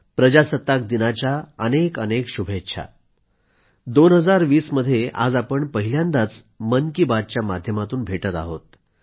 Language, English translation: Marathi, This is our first meeting of minds in the year 2020, through 'Mann Ki Baat'